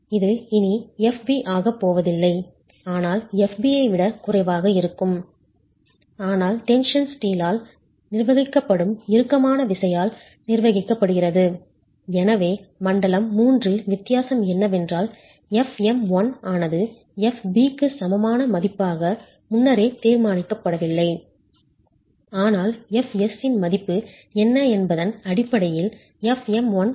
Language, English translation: Tamil, It is no longer going to be FB but a value that will be lesser than FB but governed by tension, governed by the tension steel and therefore in zone 3 the difference is that FM 1 is not predetermined as a value equal to fb, but fm1 is estimated based on what the value of fs is